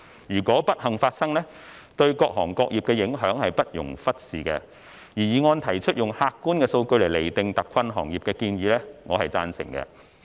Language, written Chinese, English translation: Cantonese, 如果不幸發生，對各行各業的影響不容忽視，而議案提出以客觀的數據來釐定特困行業的建議，我是贊成的。, If it happens its impacts on various industries cannot be ignored . I agree with the proposal in the motion to define hard - hit industries with objective statistics